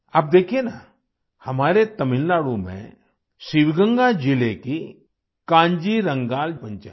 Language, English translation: Hindi, Now look at our Kanjirangal Panchayat of Sivaganga district in Tamil Nadu